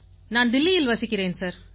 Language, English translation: Tamil, I belong to Delhi sir